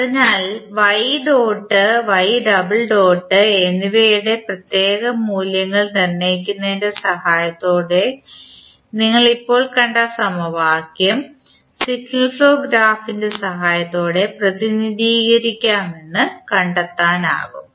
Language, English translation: Malayalam, So, with the help of assigning the particular values of y dot and y double dot you can simply find out that the equation which we just saw can be represented with the help of signal flow graph